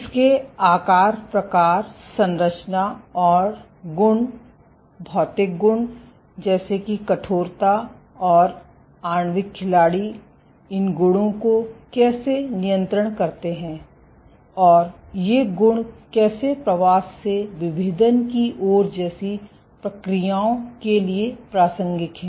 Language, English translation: Hindi, What are its size, shape, composition and properties physical properties like stiffness, and how do molecular players dictate these properties, and how are these properties relevant to processes like migration to differentiation